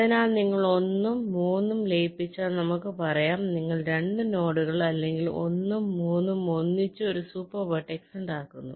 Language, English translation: Malayalam, so once you merge one and three, lets say you merge the two nodes or vertices, one and three together to form a one super vertex